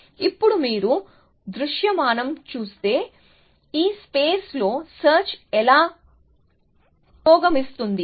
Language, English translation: Telugu, Now, if you visualize, how search will progress in this space